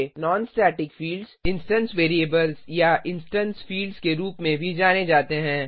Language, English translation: Hindi, Non static fields are also known as instance variables or instance fields